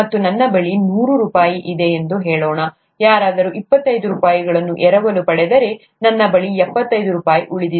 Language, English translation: Kannada, And, if I have, let us say, hundred rupees, if somebody borrows twenty five rupees, I have seventy five rupees left